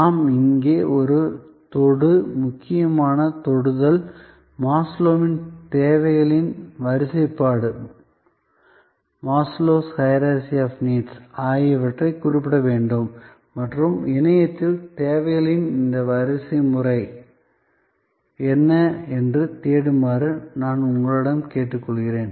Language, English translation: Tamil, We must refer here on a tangent, important tangent, Maslow’s hierarchy of needs and I would request you to search on the internet, what is this hierarchy of needs